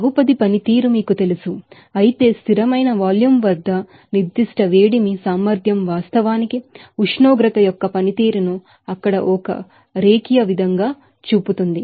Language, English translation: Telugu, As you know Polynomial function but as specific heat capacity at constant volume actually shows the functionality of temperature as a linear function there